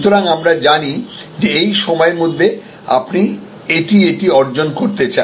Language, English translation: Bengali, So, that we know that by this time you want to achieve this, this, this